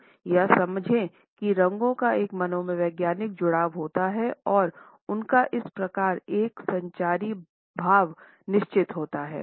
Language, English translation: Hindi, We understand that colors have a psychological association and they have thus a certain communicative value